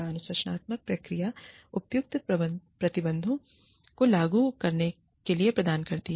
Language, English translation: Hindi, Disciplinary procedures, provide for the appropriate sanctions, to be applied